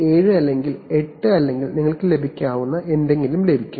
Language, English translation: Malayalam, 7 or 8 or something you will get